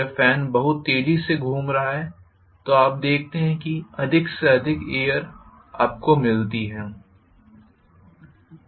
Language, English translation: Hindi, When you have the fan rotating much faster you see that more and more wind you get, right